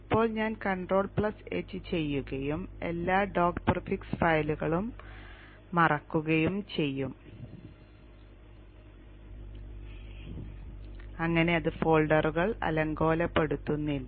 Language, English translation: Malayalam, Now I will to control H and hide all the dot prefix files so that it doesn't clutter up the folders